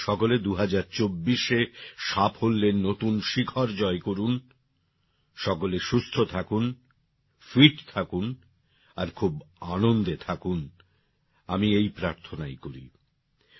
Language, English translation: Bengali, May you all reach new heights of success in 2024, may you all stay healthy, stay fit, stay immensely happy this is my prayer